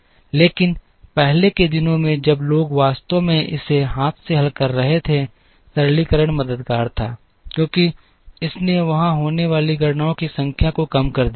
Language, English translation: Hindi, But, in the earlier days when people were actually solving it by hand, the simplification was helpful, because it reduced the number of computations that were there